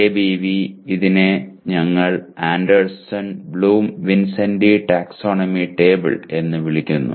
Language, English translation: Malayalam, ABV we are calling it Anderson Bloom Vincenti taxonomy table